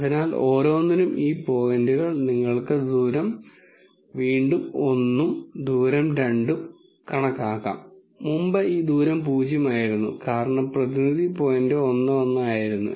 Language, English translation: Malayalam, So, for each of these points you can again calculate a distance 1 and distance 2, and notice previously this distance was 0 because the representative point was 1 1